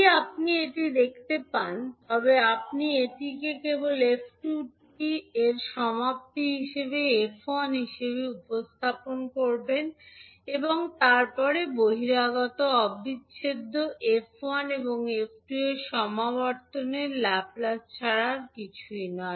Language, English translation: Bengali, So if you see this you will simply represent it as f1 maybe t convolution of f2 t and then the outer integral is nothing but the Laplace of the convolution of f1 and f2